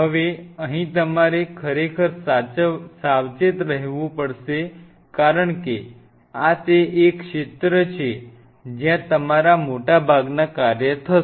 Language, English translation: Gujarati, Now here you have to be really careful because this is the zone where most of your work will be happening